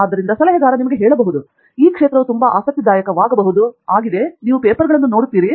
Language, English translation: Kannada, So, the advisor probably may tell you, may be this area is very interesting, you go look at papers